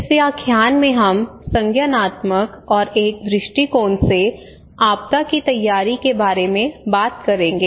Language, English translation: Hindi, This lecture we will talk about disaster preparedness from cognitive and a heuristic perspective